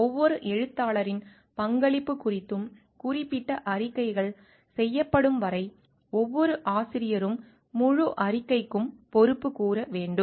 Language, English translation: Tamil, Each author is accountable for the entire report until and unless specific statements are made with respect to the contribution made by each author